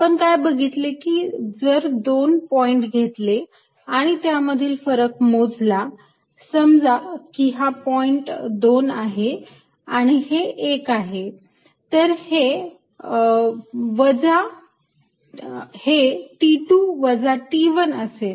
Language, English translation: Marathi, that if i take two points and calculate the difference, let's say this is two, this is one t at two minus t at one